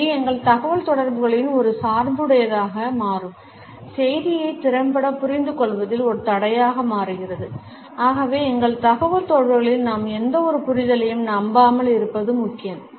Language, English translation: Tamil, It becomes a bias in our communication, becomes a barrier in effective understanding of the message and therefore, it is important that in our communication we do not rely on any understanding which is rather clichéd